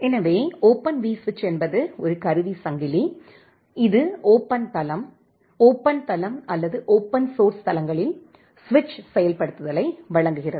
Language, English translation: Tamil, So, Open vSwitch is a tool chain which provides switch implementation in an open platform, open platform, or open source platform